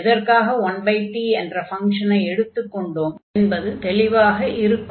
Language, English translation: Tamil, And the reason, why we are taking 1 over t is clear